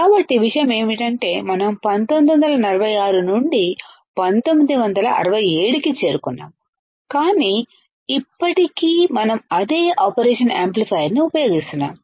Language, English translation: Telugu, So, the point is that we started from 1946 we reached to 1967, but still we are using the same operational amplifier you see guys 1967 to present all right